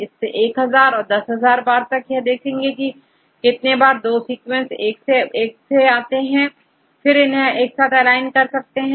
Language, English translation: Hindi, Do it for 1,000 times and 10,000 times and then see how many times you get the same two sequences are aligned together right